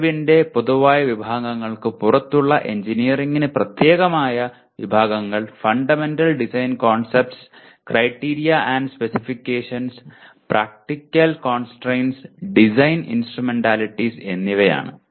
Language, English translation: Malayalam, Categories of knowledge specific to engineering which are outside the general categories, they are Fundamental Design Concepts, Criteria and Specifications, Practical Constrains and Design Instrumentalities